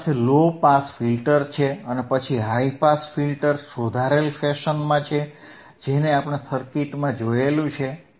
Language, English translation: Gujarati, And you have low pass filter and by and then high pass filter corrected in the fashion that we have seen in the circuit;